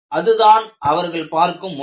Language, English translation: Tamil, That is the way they look at, look at it